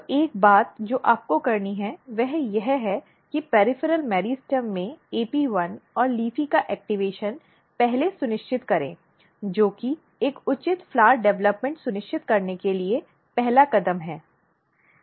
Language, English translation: Hindi, So, one thing what you have to do you have to first ensure activation of AP1 and LEAFY in the peripheral meristem to ensure a proper flower development the first step is this one